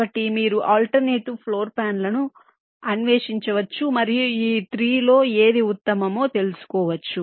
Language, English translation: Telugu, so you can explore the alternate floor plans and find out which one of these three is the best